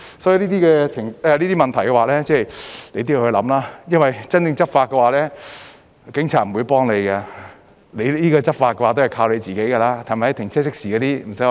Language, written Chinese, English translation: Cantonese, 所以，這些問題也是要思考的，因為真正執法時，警察是不會幫忙的，執法也是要靠自己的，對吧？, Thoughts should be given to these issues as well since the Police will not help when it comes to actual law enforcement . You have to enforce the law by yourselves right?